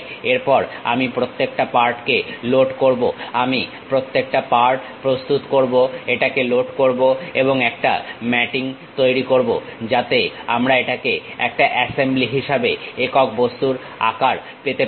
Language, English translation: Bengali, Then, I load each individual part, I will prepare each individual part, load it and make a mating, so that a single object as assembly we will get it